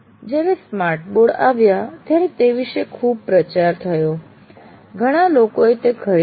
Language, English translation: Gujarati, When the smart boards came, there was a lot of hype around that